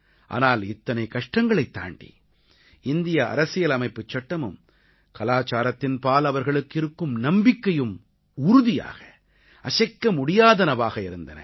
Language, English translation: Tamil, Despite that, their unwavering belief in the Indian Constitution and culture continued